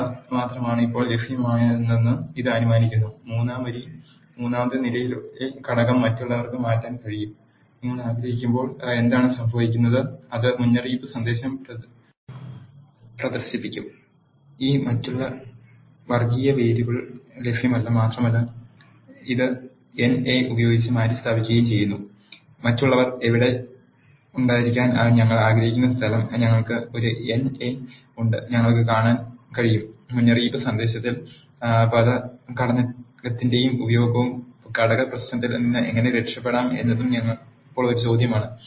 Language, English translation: Malayalam, And it assumes that these are the only factors that are available for now; when you want to change the element in the third row third column to others; what happens is it will display warning message saying that, this others categorical variable is not available and it replaces that with the NA you can notice that the place where we want others to be there we are having a NA and we can also see the use of word factor in the warning message, how to get rid of the factor issue is the question now